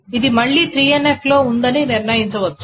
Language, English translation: Telugu, So this is again in 3NF one can determine